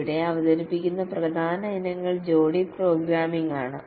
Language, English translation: Malayalam, The main items that are introduced here is pair programming